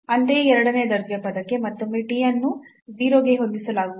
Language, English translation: Kannada, Similarly, for the second order term again t will be set to 0